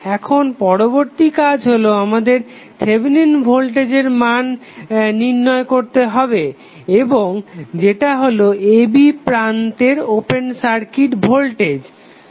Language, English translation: Bengali, Now, next task what we have to do is that we have to find out the value of Thevenin voltage and that is nothing but the open circuit voltage across terminal a, b